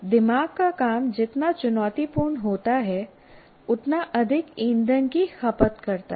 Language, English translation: Hindi, The more challenging brain task, the more fuel it consumes